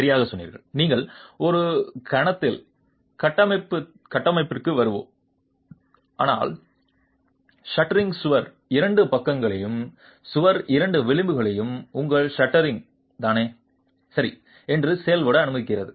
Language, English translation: Tamil, We will come to the formwork in a moment but the shuttering allows two sides of the wall, two edges of the wall to act as your shuttering itself